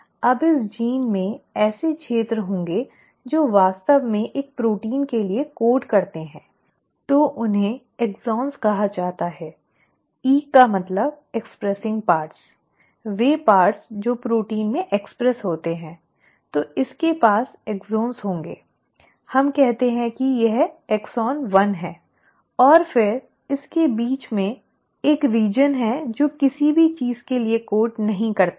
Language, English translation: Hindi, Now this gene will have regions which actually code for a protein so they are called the “exons”; E for expressing parts, the parts which get expressed into proteins; so it will have exons, let us say this is exon 1 and then, in between it has a region which does not code for anything